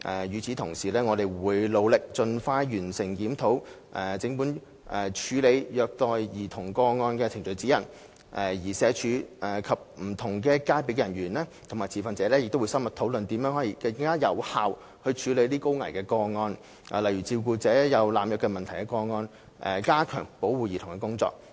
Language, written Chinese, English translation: Cantonese, 與此同時，我們會努力盡快完成檢討整份處理虐待兒童個案程序指引，而社署及不同界別的人員及持份者亦會深入討論如何更有效處理高危個案，例如照顧者有濫藥問題的個案，以加強保護兒童的工作。, At the same time we will endeavour to complete the review of the whole Procedural Guide for Handling Child Abuse Cases as soon as possible . And SWD will hold thorough discussions with people and stakeholders in various disciplines on ways to handle high - risk cases more effectively such as cases involving carers with drug abuse problems so as to enhance our child protection efforts